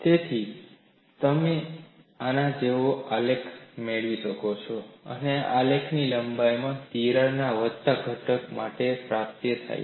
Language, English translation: Gujarati, So, you can get a graph like this, and this graph is obtained for the component having a crack of length a